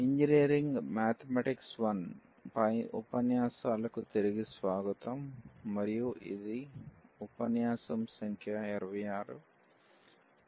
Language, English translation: Telugu, So, welcome back to the lectures on Engineering Mathematics – I, and this is lecture number 26